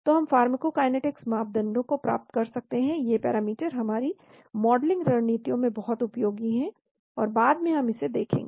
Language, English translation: Hindi, So we can get the pharmacokinetics parameters , these parameters are very useful in our modeling strategies, and later on we will see it